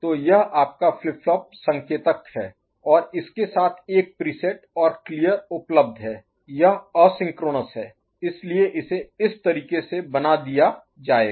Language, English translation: Hindi, So, this is your flip flop indicator and with it there is a preset and clear available ok, then asynchronous so it will be indicated in this manner